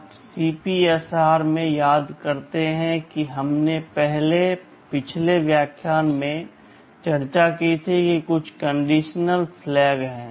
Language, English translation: Hindi, You recall in the CPSR that we discussed in our previous lectures there are some condition flags